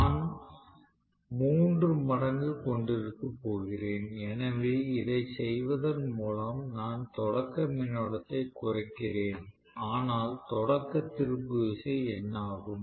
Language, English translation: Tamil, So, I am going to have three times, so by doing this I am essentially reducing the starting current, no doubt, but what happens to the starting torque